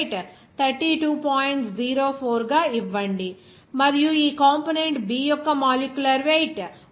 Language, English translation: Telugu, 04 and component B of molecular weight of this 46